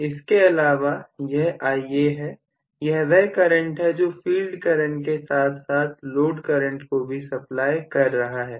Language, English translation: Hindi, Apart from this if I say this is Ia, this is what is supplying actually the field current as well as the load current